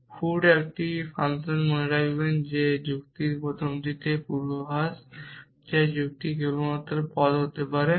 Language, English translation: Bengali, So, feet is a function remember that in first of the logic the argument to predicate can only be terms